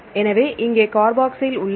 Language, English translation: Tamil, So, here is the carboxyl here is the carboxyl